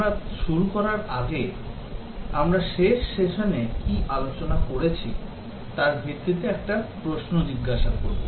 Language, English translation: Bengali, Before we get started will just ask one question based on what we were discussing in the last session